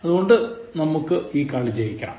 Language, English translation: Malayalam, So, let us win this English